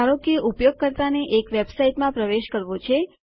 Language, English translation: Gujarati, Say a user wants to login into a website